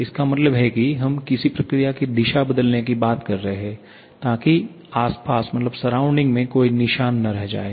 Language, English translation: Hindi, It means we are talking about changing the direction of a process without keeping any mark on the surrounding